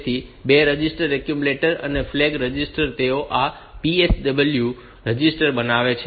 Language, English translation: Gujarati, So, the 2 registers accumulator and flag register they make up this PSW register